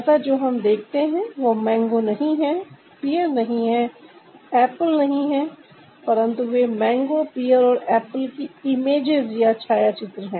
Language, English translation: Hindi, so what we see here is not mango, it's not pear, it's not apple, but they are images of mango, pear and apple